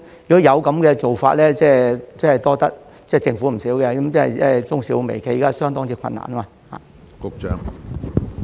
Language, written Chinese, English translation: Cantonese, 如果有這樣的安排，真的要多謝政府，因為現時中小微企相當困難。, If such an arrangement is put in place I will be really grateful to the Government because SMEs are having a tough time